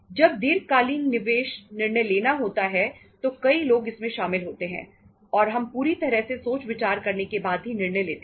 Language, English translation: Hindi, When itís a long term investment decision many people are involved and we take the decision after thorough consideration